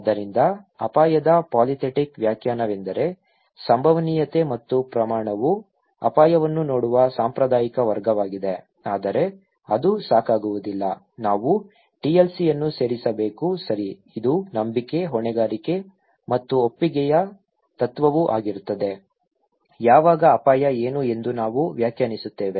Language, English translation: Kannada, So, polythetic definition of risk is that probability and magnitude that is the traditional way of looking at risk but that is not enough, we should add the TLC okay, this is the principle of trust, liability and consent are themselves also, the subject when we define that what is risk